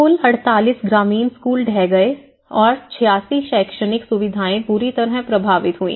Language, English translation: Hindi, In total 48 rural schools collapsed and 86 educational facilities were badly affected